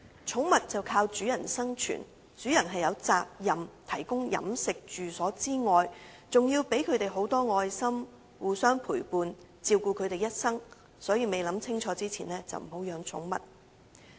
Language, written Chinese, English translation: Cantonese, 寵物依賴主人生存，而主人除有責任提供飲食及住所外，還要給牠們很多愛心，互相陪伴和照顧牠們一生，所以未想清楚便不要養寵物。, Since pets are dependent on their owners to survive owners are not only duty - bound to feed and accommodate them but also to love them keep them company and take care of them till they die . Therefore one should think very carefully before keeping pets